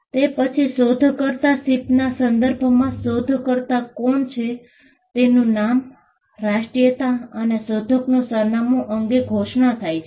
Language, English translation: Gujarati, Then, there has to be a declaration, with regard to inventor ship, as to who the inventor is; the name, nationality, and address of the inventor